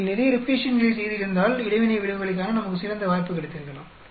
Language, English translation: Tamil, If you had done lot of replications, then we might have had a better chance of seeing interaction effects